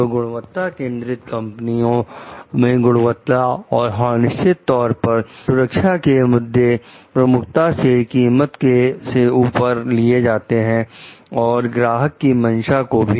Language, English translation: Hindi, So, the in quality oriented companies, the quality and of course the safety issue takes priority over the cost and the customer s desires